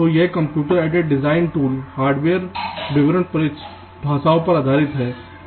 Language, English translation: Hindi, ok, so this computed design tools are based on hardware description languages